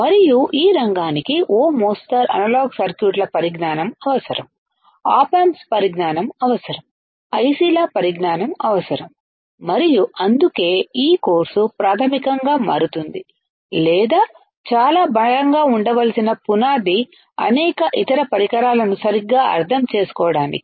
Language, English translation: Telugu, And all this area more or less will require the knowledge of analog circuits, will require the knowledge of op amps, will require the knowledge of ICs and that is why this course becomes kind of basic or the base that needs to be extremely strong to understand further several devices, to understand several other devices all right